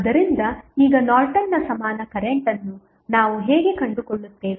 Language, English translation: Kannada, So, now the Norton's equivalent current how we will find out